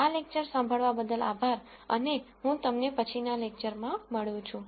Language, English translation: Gujarati, Thank you for listening to this lecture and I will see you in the next lecture